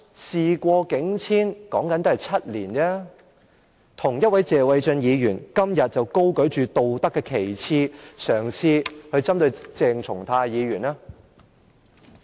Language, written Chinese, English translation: Cantonese, 事過境遷，說的只是7年，為何同一位謝偉俊議員，今天卻高舉道德旗幟，嘗試針對鄭松泰議員呢？, That incident is now history . It has only been seven years why would the same Mr Paul TSE brandished this moral banner today to try to target Dr CHENG Chung - tai?